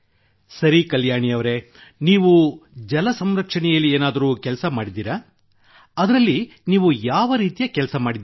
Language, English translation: Kannada, Okay Kalyani ji, have you also done some work in water conservation